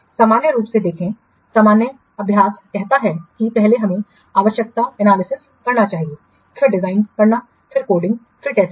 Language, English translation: Hindi, See, normally normal practice said that first you should do the requirement analysis, then design, then coding, then testing